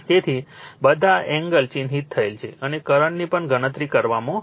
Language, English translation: Gujarati, So, all the angles are marked and your current are also computed, right